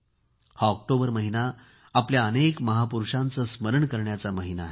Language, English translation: Marathi, The month of October is a month to remember so many of our titans